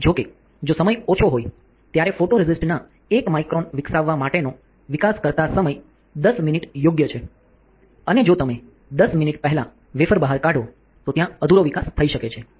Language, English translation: Gujarati, However, if there is a if the time is less there is a developer time for developing 1 micron of photoresist is 10 minutes right and if you take out the wafer before 10 minutes, then there can be incomplete development